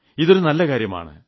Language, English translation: Malayalam, This is a wonderful experience